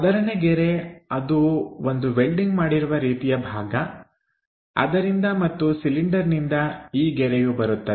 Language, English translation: Kannada, So, that one the first line is the welded kind of portion is that and from cylinder this line comes